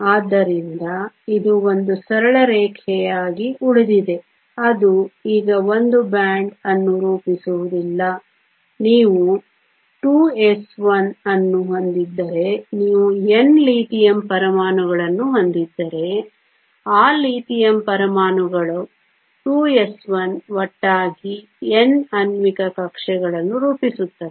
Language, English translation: Kannada, So, its remains a straight line it does not form a band now you have the 2 s 1 if you have N Lithium atoms the 2 s 1 of all of those Lithium atoms comes together to form N molecular orbitals